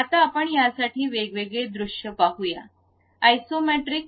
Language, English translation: Marathi, Now, let us look at different views for this, the Isometric